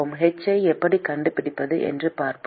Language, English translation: Tamil, We will see how to find h